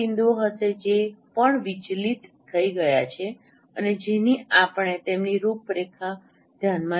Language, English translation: Gujarati, There would be some points which are also deviated and which we consider their outline